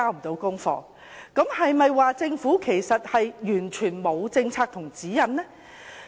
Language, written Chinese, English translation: Cantonese, 這是否表示政府完全沒有政策和指引呢？, Does this mean that the Government has no policies and guidelines at all?